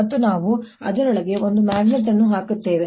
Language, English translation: Kannada, and we'll show you that by putting a magnet inside